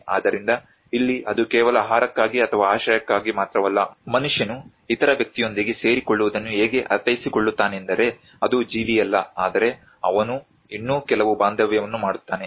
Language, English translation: Kannada, So here whatever it is not just only for the food or the shelter it is how a man makes a sense of belonging with other individual though it is not a living being but he still makes some attachment